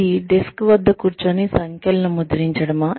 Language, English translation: Telugu, Is it sitting at a desk, and punching numbers